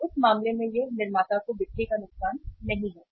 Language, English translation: Hindi, So in that case it is not loss of sale to the manufacturer